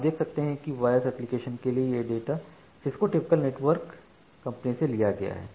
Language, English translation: Hindi, So, you can see that the for the voice application so this data is taken from Cisco typical networking company